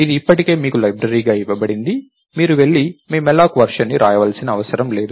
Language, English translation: Telugu, So, its already given as a library to you, you don't have go and write your version of malloc